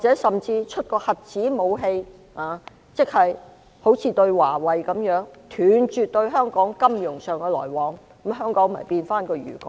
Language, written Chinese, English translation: Cantonese, 甚至如果出動核子武器，即如對華為般，斷絕與香港的金融來往，香港便會變回漁港。, If the United States deploys the nuclear weapon as what it is doing against Huawei now by cutting off the financial ties with Hong Kong the HKSAR will resume its former state as a fishing port